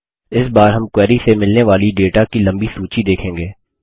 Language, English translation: Hindi, This time we see a longer list of data returned from the query